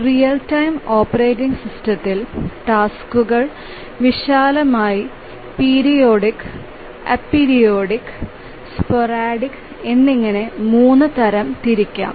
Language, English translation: Malayalam, So, a real time operating system, the tasks can be broadly saying three types, periodic, a periodic and sporadic